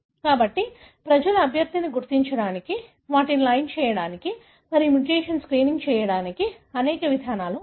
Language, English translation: Telugu, So, there are several approaches people use to identify a candidate, line them and then do mutation screening